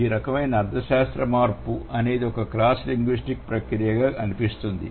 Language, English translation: Telugu, So, and this kind of semantic change, it seems to be a cross linguistic process